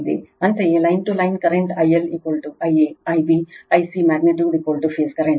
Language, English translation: Kannada, Similarly, line to line current I L is equal to I a, I b, I c magnitude is equal to phase current